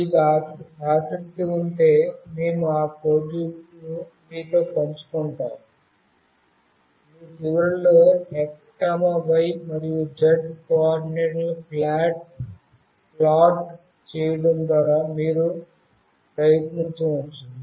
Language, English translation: Telugu, But if you are interested, we can share those codes with you, you can try out at your end by plotting the x, y, and z coordinates